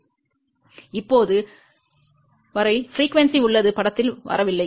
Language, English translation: Tamil, Now, till now frequency has not come into picture